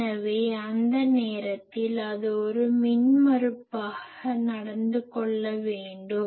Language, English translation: Tamil, So, that time it should be behaving as an impedance